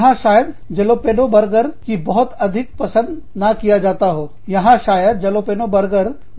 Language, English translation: Hindi, A Jalapeno burger, may not be, very, very, appreciated, more appreciated here